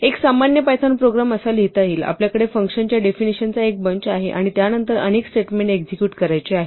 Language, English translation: Marathi, A typical python program would be written like this, we have a bunch of function definitions followed by a bunch of statements to be executed